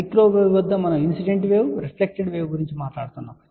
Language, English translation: Telugu, At microwave we are talk about incident wave reflected wave